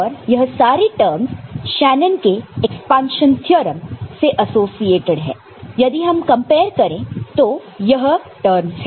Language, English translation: Hindi, And the terms that are associated with 1 from the Shanon’s expansion theorem, if we just compare, these are the terms